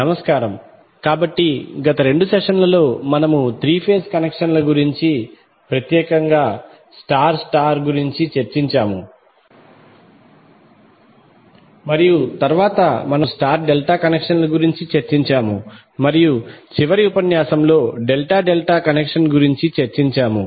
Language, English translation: Telugu, Namashkar, so in the last two sessions, we have discussed about three phase connections specially star star and then we discussed star delta connections and then in the last lecture we discussed about the Delta Delta connection